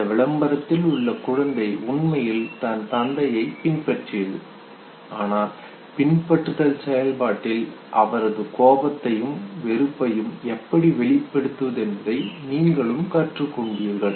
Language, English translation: Tamil, The child in the ad actually imitated the father okay, but in the process of imitation you also learn how to express his anger and disgust